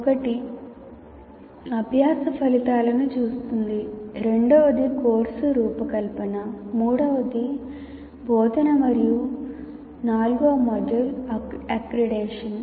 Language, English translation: Telugu, The second one is course design, third one is instruction, and fourth module is accreditation